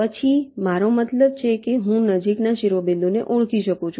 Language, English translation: Gujarati, then i means i can identify the nearest vertex